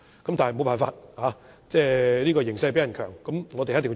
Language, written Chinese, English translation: Cantonese, 但是，沒有辦法，"形勢比人強"，我們不得不做。, But as we have no choice but succumb to the circumstances we can only follow the trend